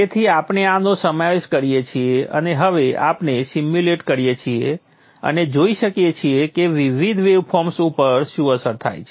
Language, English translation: Gujarati, So you include this and now you simulate and see what are the effects on the various waveforms